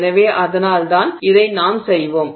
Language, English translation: Tamil, So, this is what we want to do